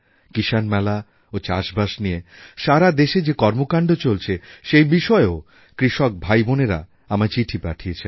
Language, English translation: Bengali, Our farmer brothers & sisters have written on Kisan Melas, Farmer Carnivals and activities revolving around farming, being held across the country